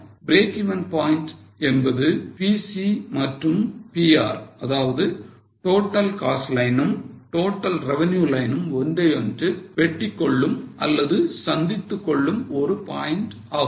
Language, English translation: Tamil, Getting it, break even point is a point where TC and TR, that is total cost line and total revenue line intersect or meet each other